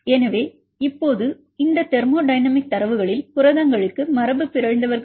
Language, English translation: Tamil, Here I put a thermodynamic data for the proteins and the mutants